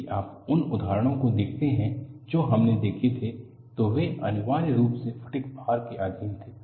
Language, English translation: Hindi, See, if you look at the examples which we had seen, they were essentially subjected to fatigue loading